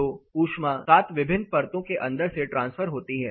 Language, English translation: Hindi, So, the heat transfers through seven different layers